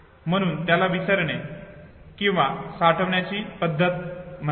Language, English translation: Marathi, Therefore it is called the method of relearning or saving method